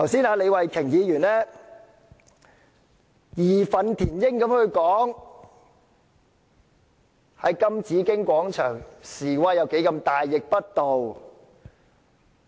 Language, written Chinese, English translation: Cantonese, 李慧琼議員剛才義憤填膺地說，在金紫荊廣場示威有多大逆不道。, Just now Ms Starry LEE said with righteous indignation that it was outrageous to hold demonstrations at the Golden Bauhinia Square